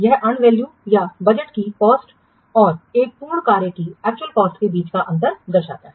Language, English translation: Hindi, It indicates the difference between the and value or the budgeted cost and the actual cost of completed work